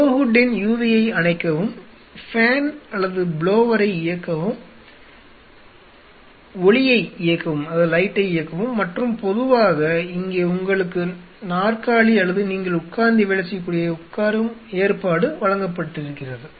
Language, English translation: Tamil, Switch of the UV switch on the fan or the blowers switch on the light and generally you are provided here with the chair or a sitting arrangement where you can sit and do the work